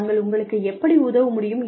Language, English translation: Tamil, How can we help